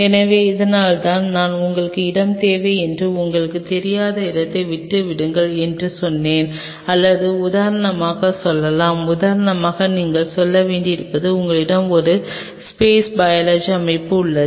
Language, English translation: Tamil, So, that is why I told you that leave space you do not know where you may be needing things or say for example, you may need to say for example, you have a space biology setup out here